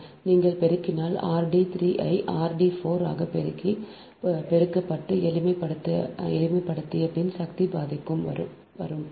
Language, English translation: Tamil, if you multiply all it is coming r dash d three into r dash d four to the power half